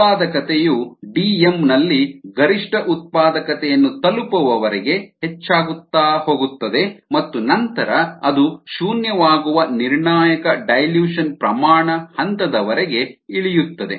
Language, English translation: Kannada, so it goes on increasing till it reaches a maximum productivity at d, m and then it will actually drop till the point of the critical dilution rate where it becomes zero